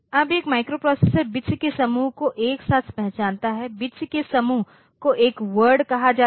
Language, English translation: Hindi, Now, a microprocessor recognizes an process is a group of bits together which is and a group of bits is called a word